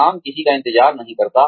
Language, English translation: Hindi, Work waits for nobody